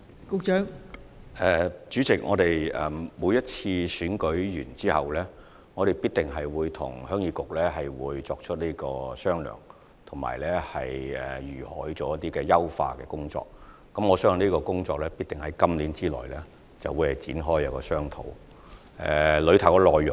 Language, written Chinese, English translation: Cantonese, 代理主席，我們每次完成選舉後，必定會與鄉議局商討有關的優化工作，而我相信這項工作必定會在今年內展開並進行商討。, Deputy President following each election we will certainly discuss with HYK the possible improvements and I believe the relevant work will surely kick off this year and discussion will be held